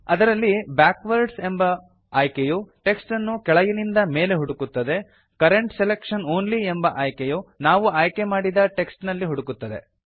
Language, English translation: Kannada, It has options like Backwards which searches for the text from bottom to top, Current selection only which searches for text inside the selected portion of the text